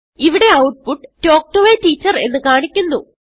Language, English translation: Malayalam, Here the output is displayed as Talk To a Teacher